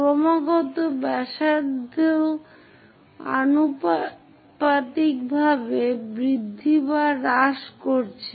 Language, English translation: Bengali, Continuously, radius is changing increasing or decreasing proportionately